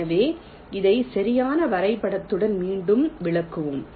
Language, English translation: Tamil, so lets lets explain this again with a proper diagram